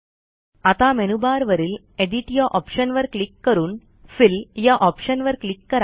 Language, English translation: Marathi, Click on the Edit option in the menu bar and then click on the Fill option